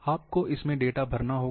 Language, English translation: Hindi, You have to feed the data